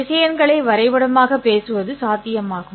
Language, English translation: Tamil, How do we represent vectors mathematically